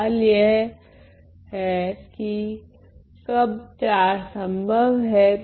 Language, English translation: Hindi, The question is when is 4 possible